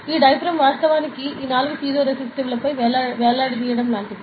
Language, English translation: Telugu, So, this diaphragm is actually like hanging on these four piezoresistives, ok